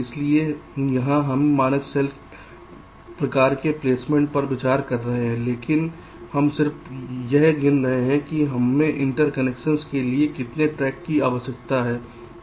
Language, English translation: Hindi, so here we are considering standard cell kind of a placement, but we are just counting how many tracks we are needing for interconnection